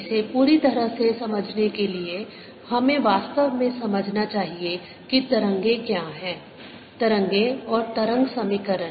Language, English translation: Hindi, to understand it fully, we should actually first understand what waves are, wave and wave equation